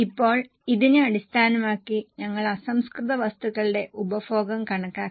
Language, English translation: Malayalam, Now based on this we have worked out the raw material consumption